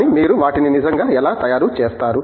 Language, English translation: Telugu, But, how do you actually manufacture them